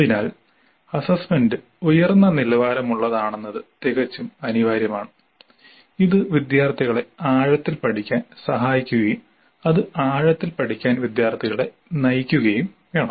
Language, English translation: Malayalam, So it is absolutely essential that the assessment is of high quality and it should help the students learn deeply and it should guide the students into learning deeply